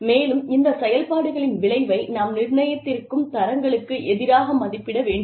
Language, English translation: Tamil, And, we need to assess the output, of these functions, against the standards, that we have set